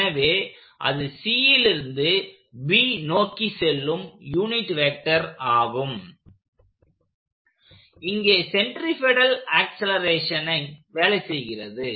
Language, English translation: Tamil, So that is the normal vector going from C towards B which is the way centripetal acceleration works